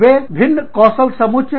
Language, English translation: Hindi, They are bringing, very different skill sets